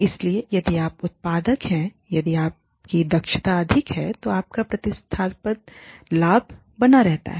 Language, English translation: Hindi, So, if you are being productive, if your efficiency is high, your competitive advantage is maintained